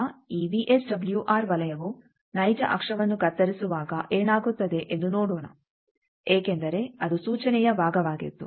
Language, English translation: Kannada, So, these VSWR circle when it cuts real axis let us see what happens because that was part of the instruction